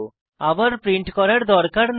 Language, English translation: Bengali, You dont have to print it again